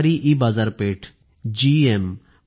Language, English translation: Marathi, Government EMarketplace GEM